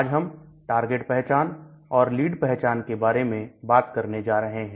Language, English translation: Hindi, Today we are going to talk about target identification and lead identification